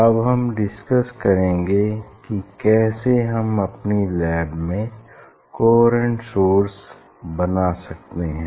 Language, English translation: Hindi, that now I will discuss how we generate coherent source in our laboratory; that I will discuss now